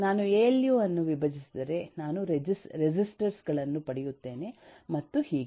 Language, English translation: Kannada, If I break down a alu, I will get resistors and so on